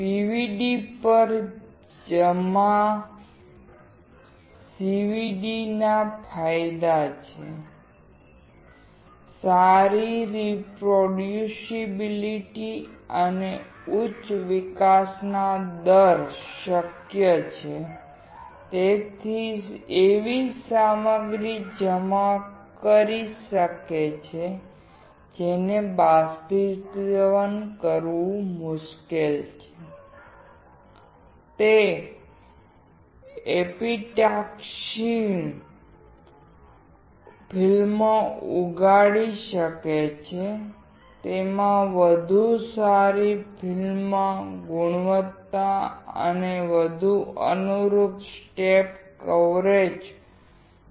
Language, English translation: Gujarati, The advantages of CVD over PVD are: good reproducibility and high growth rate is possible; it can deposit materials which are hard to evaporate; it can grow epitaxial films; it has better film quality and more conformal step coverage